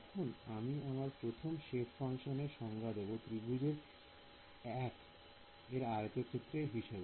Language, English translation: Bengali, Now I define my first shape function as the area of triangle 1